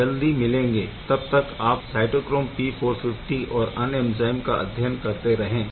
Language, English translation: Hindi, So, we will be back soon keep studying cytochrome P450 and other enzymes